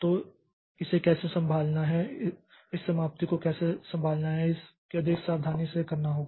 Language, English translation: Hindi, How to handle this termination is it has to be done more carefully